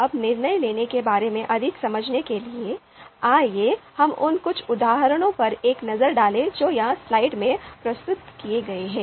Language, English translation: Hindi, Now to understand more about decision makings, let us have a look at some of the examples which are presented here in the slide